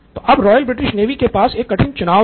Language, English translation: Hindi, So, now Royal British Navy had a tough proposition in their hand